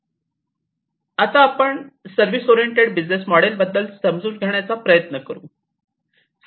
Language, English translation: Marathi, Now, let us try to understand the service oriented business model